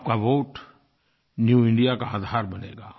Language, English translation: Hindi, Your vote will prove to be the bedrock of New India